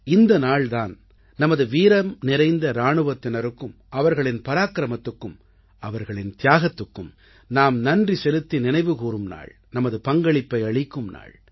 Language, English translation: Tamil, This is the day when we pay homage to our brave soldiers, for their valour, their sacrifices; we also contribute